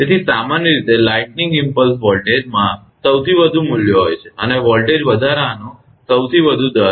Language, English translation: Gujarati, So, in general lightning impulse voltage have the highest values, and the highest rate of voltage rise